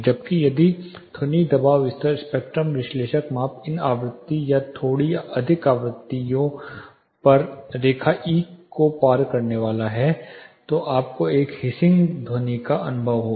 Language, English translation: Hindi, Whereas, if your sound pressure level spectrum analyzer measurements are going to cross line E at this frequencies are slightly higher frequencies then you will be experiencing a hissing sound